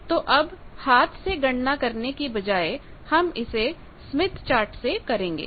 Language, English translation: Hindi, So, now, instead of manual calculations we will do it by Smith Chart